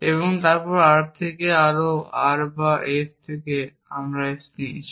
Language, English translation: Bengali, So, we use not P or not S or T and consider it with S